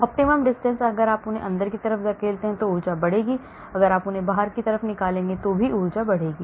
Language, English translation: Hindi, optimum distance, if you push them inwards energy will increase, if you pull them out energy will increase